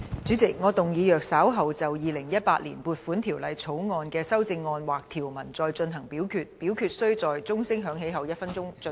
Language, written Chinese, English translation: Cantonese, 主席，我動議若稍後就《2018年撥款條例草案》的條文或其修正案再進行點名表決，表決須在鐘聲響起1分鐘後進行。, Chairman I move that in the event of further divisions being claimed in respect of any provisions of or any amendments to the Appropriation Bill 2018 this committee of the whole Council do proceed to each of such divisions immediately after the division bell has been rung for one minute